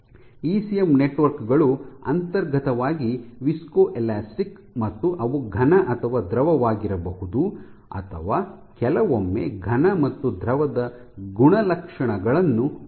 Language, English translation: Kannada, ECM networks are inherently viscoelastic depending on how you prepare you might have a solid or a fluid or some property of both